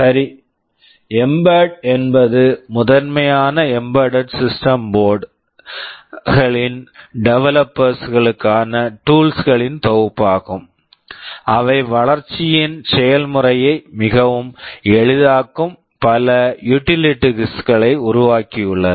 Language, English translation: Tamil, Well, mbed is a set of tools that are primarily meant for the developers of embedded system boards; they have developed a lot of utilities that make the process of development very easy